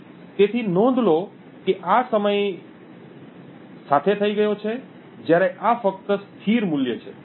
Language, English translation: Gujarati, So, note that this is over time, while this is just a constant value